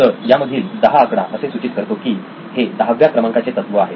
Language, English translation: Marathi, So this is the number 10 in this signifies that this is the number 10 principle